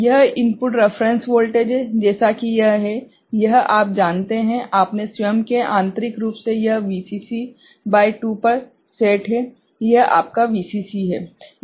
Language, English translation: Hindi, This is the input reference voltage, as it is, it is you know, on its own internally it is set VCC by 2 right, this is your VCC